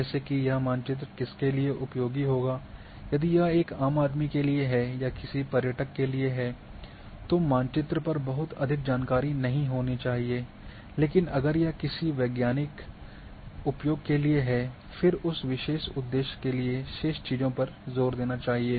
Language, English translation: Hindi, To whom this map is going to be useful if it is by a layman or for tourist then you should not have too much information on the map, but if it is for the scientific use, then for that particular purpose it should emphasis remaining things may remain in the background